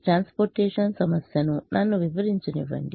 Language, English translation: Telugu, let me explain the transportation problem